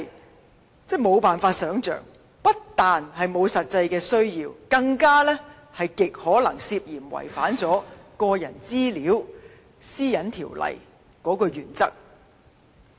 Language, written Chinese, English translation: Cantonese, 這簡直無法想象，不但沒有實際需要，更極有可能涉嫌違反《個人資料條例》的原則。, Such arrangements are not only inconceivable but also unnecessary and are probably against the principles of PDPO